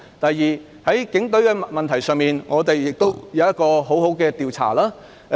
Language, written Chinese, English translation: Cantonese, 第二，在警隊問題上，有需要好好進行一次調查。, Second in respect of the Police there is a need to conduct an investigation properly